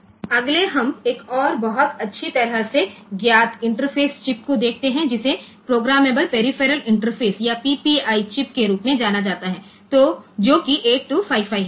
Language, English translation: Hindi, interface chip, which is known as programmable peripheral interface or PPI chip, which is 8255